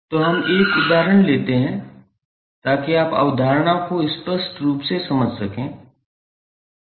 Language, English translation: Hindi, So, let us take an example so that you can understand the concept clearly